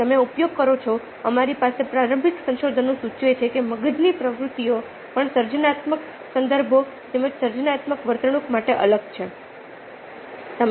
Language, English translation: Gujarati, we have initial explorations do indicate that brain activities also are different for creative contexts as well as creative behaviour